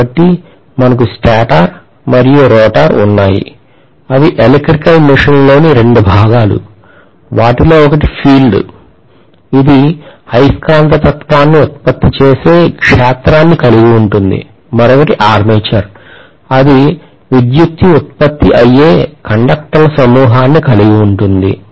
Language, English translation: Telugu, So we have stator and rotor are the 2 portions in an electrical machine where they may be accommodating, one will be accommodating field which will produce magnetism, the other one may be accommodating the bunch of conductors in which electricity is produced which we call as armature